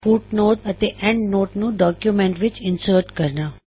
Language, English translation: Punjabi, How to insert footnote and endnote in documents